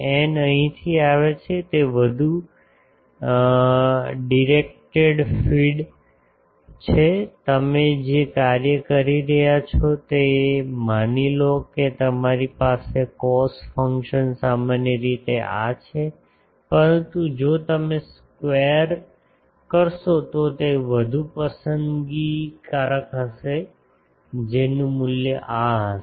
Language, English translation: Gujarati, n is, n come from here that more directed feed, cos function you are making suppose you have a cos function is generally these, but if you square it will be more picky that will the value will be this sorry